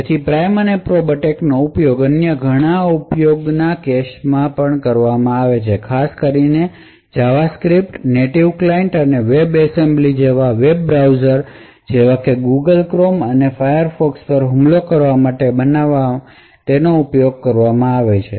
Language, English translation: Gujarati, So, the prime and probe attack has also been used in various other use cases especially it has been used to create to attack JavaScript, native client and web assembly on web browsers such as the Google Chrome and Firefox